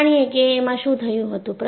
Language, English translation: Gujarati, Let us look at what happened